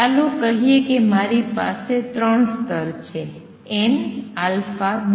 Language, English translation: Gujarati, Let us say if I have two levels, three levels, n alpha beta